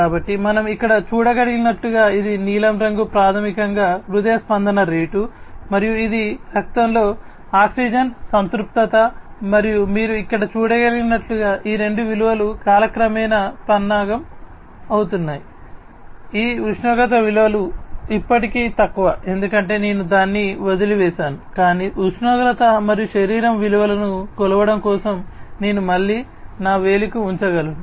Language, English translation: Telugu, So, as we can see over here, this is the blue one is basically the heart rate and this is the oxygen saturation in the blood and as you can see over here these two values are gradually getting plotted over time, this temperature value is still low because you know I just left it out, but you know I could be again putting it on my finger for measuring the temperature and as you can see now that the temperature value the body temperature value is increasing right